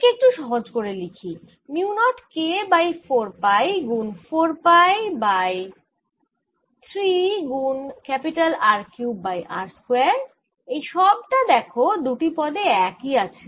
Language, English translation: Bengali, let us simplify this: it'll be mu naught k over four pi times four pi by three r cubed over r square, sine theta